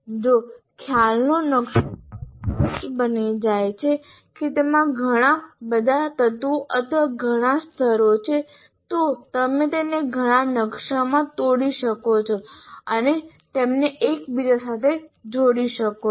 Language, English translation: Gujarati, If the concept map becomes unwieldy, there are too many elements, too many layers in that, then you can break it into multiple maps and still link one to the other